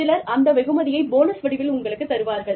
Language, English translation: Tamil, Some give this to you, in the form of bonuses